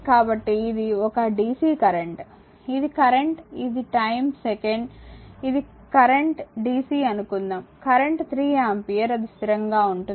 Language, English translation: Telugu, So, this is a dc current, this is current, this is time second, it is the constant suppose current dc, current is that 3 ampere it is constant right